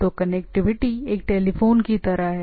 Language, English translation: Hindi, So, the connectivity is like a telephone